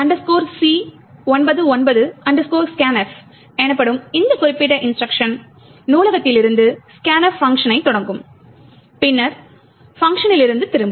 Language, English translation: Tamil, This particular instruction called ISO C99 scan f would invoke the scanf function from the library and then there is a return from the function